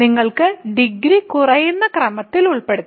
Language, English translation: Malayalam, So, you can just put the degrees in the decreasing order